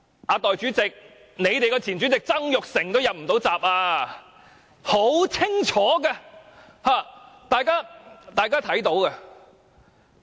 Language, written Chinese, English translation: Cantonese, 代理主席，即使你們的前主席曾鈺成都"入不到閘"，這是很清楚的，而大家也看得到。, Deputy President in that case even your former President Mr Jasper TSANG could not get nominated . This is very clear and this is something everyone can see